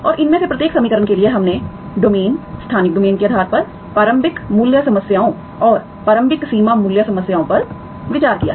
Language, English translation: Hindi, And for each of these equations we have considered initial value problems and initial boundary value problems based on the domain, spatial domain